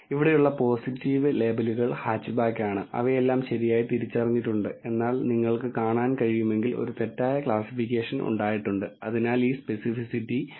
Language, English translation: Malayalam, The positive labels here are hatchback and all of them have been identified correctly, whereas if you can see there has been one misclassification and hence this specificity drops to 0